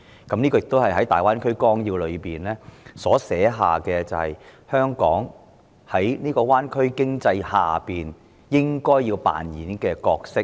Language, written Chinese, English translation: Cantonese, 這亦是《粵港澳大灣區發展規劃綱要》描述香港在灣區經濟下應該要擔當的角色。, It is also the role Hong Kong ought to play in the development of the bay area economy as depicted in the Outline Development Plan for Guangdong - Hong Kong - Macao Greater Bay Area